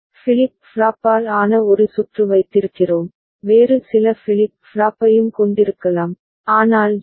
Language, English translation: Tamil, So, for that we are having a circuit made up of JK flip flop, we could have some other flip flop as well, but JK flip flop we have taken it up ok